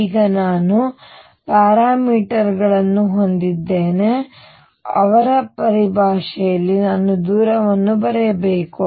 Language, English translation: Kannada, Now, here what do I have the parameters that are small in the whose terms I should write the distances